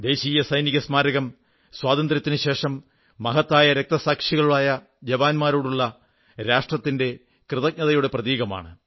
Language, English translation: Malayalam, The National Soldiers' Memorial is a symbol of the nation's gratitude to those men who made the supreme sacrifice after we gained Independence